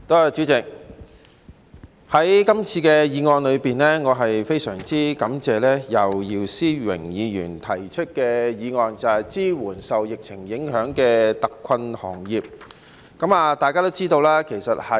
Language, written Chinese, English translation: Cantonese, 主席，我非常感謝姚思榮議員今次提出"支援受疫情影響的特困行業"的議案。, President I am very grateful to Mr YIU Si - wing for proposing this motion on Providing support for hard - hit industries affected by the epidemic